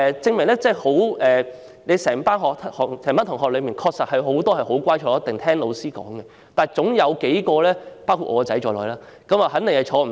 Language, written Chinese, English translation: Cantonese, 在同一班同學之中，有很多小朋友很乖，會坐下來聽老師教導，但總有幾個，包括我兒子在內，會坐不住。, Many children in the same class are very obedient and they will sit down and listen to what the teacher says but a few others including my son will not sit still